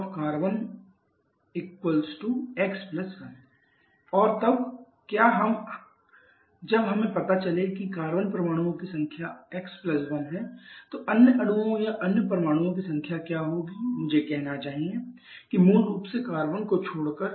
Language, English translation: Hindi, Therefore number of carbon is x + 1 and what is the when we know that number of carbon is x + 1 what will be the number of other molecules or other atoms I should say that excluding carbon basically